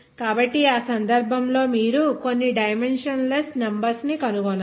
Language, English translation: Telugu, So, in that case, you have to find out some dimensionless numbers